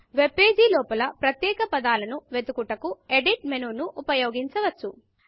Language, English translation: Telugu, You can use the Edit menu to search for particular words within the webpage